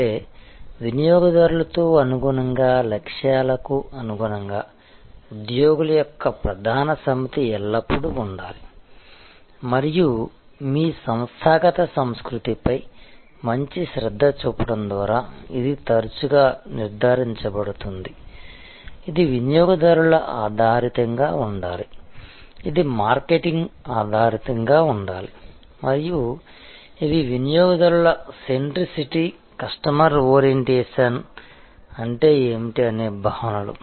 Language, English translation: Telugu, That means there has to be always a core set of employees in tune with customers, in tune with the goals and that can be often ensured by paying good attention to your organizational culture, which should be customer oriented, which should be market oriented and these are concepts that what does it mean customer centricity, customer orientation